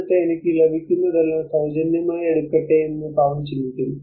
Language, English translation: Malayalam, And then the poor man thinks about let me take whatever I get for free